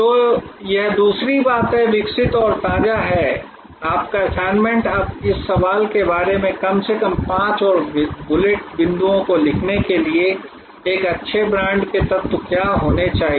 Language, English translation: Hindi, So, that is the other thing evolving and fresh your assignment is now, to write at least five more bullet points about this query, what should be the elements of a good brand